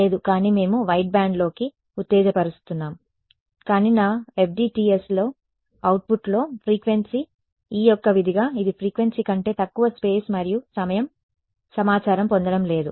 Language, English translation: Telugu, No, but we are exciting into the wideband, but I am not getting frequency information in my FDTSs output is what E as a function of space and time below frequency